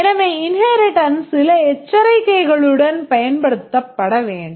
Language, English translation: Tamil, So, inheritance should be used with some caution